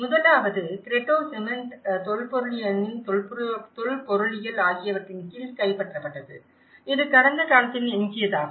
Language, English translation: Tamil, The first one, the Cretto which is captured under the shroud of cement, archeology of the archaeology, as a remainder of the past